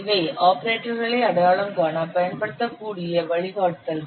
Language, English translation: Tamil, So these are the guidelines we have given for identifying the operators and operands